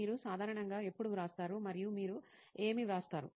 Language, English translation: Telugu, When do you generally write and what do you write